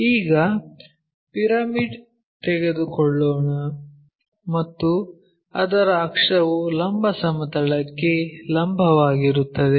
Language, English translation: Kannada, Now, let us take a pyramid and its axis is perpendicular to vertical plane